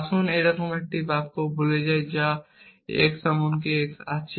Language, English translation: Bengali, Let us forget a sentence like this there exist x even x